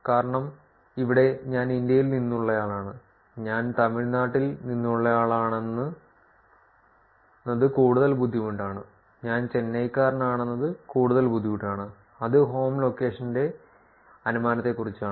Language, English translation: Malayalam, Because here to get the country that I am from India more difficult to get that I'm from Tamilnadu as a state it is even more difficult to get that I am from Chennai, that is about the inference of the home location